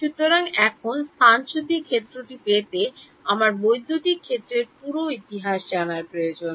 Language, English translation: Bengali, So, now, I need full time history of electric field to get displacement field